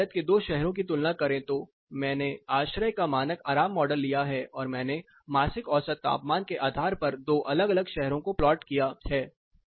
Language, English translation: Hindi, If you compare two cities in India, I have taken the standard comfort model the ASHRAE model and I have plotted two different cities based on the monthly mean temperature